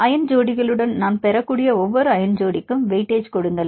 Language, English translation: Tamil, And give the weightage to which ion pair; you can see the contribution from the ion pairs